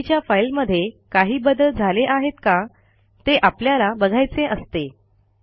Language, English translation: Marathi, Also we may want to see whether a file has changed since the last version